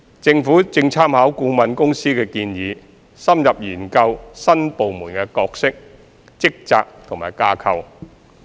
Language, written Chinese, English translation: Cantonese, 政府正參考顧問公司的建議，深入研究新部門的角色、職責及架構。, The Government is studying the roles responsibilities and structure of the new department in depth with reference to the consultancys recommendations